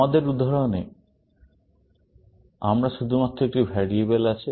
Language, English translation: Bengali, In our example we have only a variable